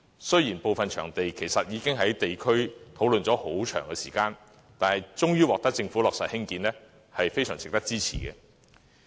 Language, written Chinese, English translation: Cantonese, 雖然部分興建場地的建議，已經在地區討論了很長時間，但最終獲得政府落實，仍是非常值得支持的。, While some of these development projects have been discussed for a prolonged period on the district level their eventual implementation by the Government is still truly worthy of our support